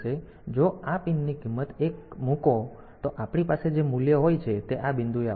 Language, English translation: Gujarati, So, if this pin value to 1; so, value that we have here will be coming at this point